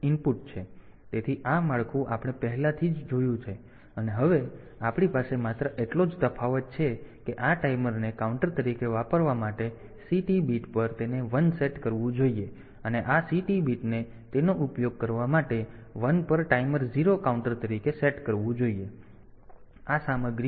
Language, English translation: Gujarati, So, this structure we have already seen now the only difference that we have is this, C/T bit it should be set to 1 for using this timer as a counter and this this C/T bit should be set to 1 for using this timer 0 as a counter